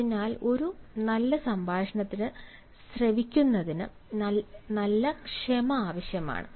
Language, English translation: Malayalam, so a good conversation requires a good amount of patience for listening